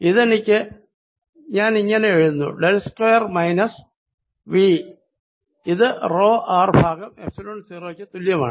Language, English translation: Malayalam, i am going to write this del square: v is equal to rho r over epsilon zero